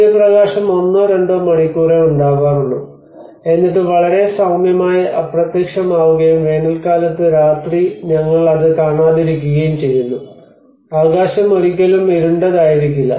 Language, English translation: Malayalam, It hardly comes for one or two hours and then disappears very gently and in summer we do not see it all the night, the sky never gets darker